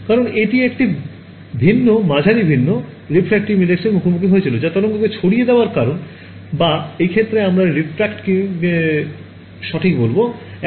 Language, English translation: Bengali, Because it encountered a different medium different refractive index right that is what causes the wave to scatter or in this case we will say refract right